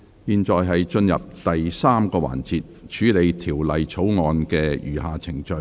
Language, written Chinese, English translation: Cantonese, 現在進入第三個環節，處理條例草案的餘下程序。, Council now proceeds to the third session to deal with the remaining proceedings of the Bill